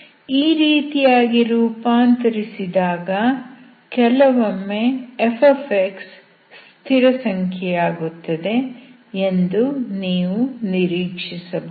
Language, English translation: Kannada, If you convert to this form, sometimes you can expect f to be constant